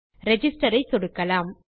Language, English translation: Tamil, And I will click Register